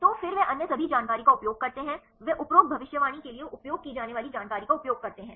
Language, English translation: Hindi, So, then they use all the other information, they use the what are information they use for the above prediction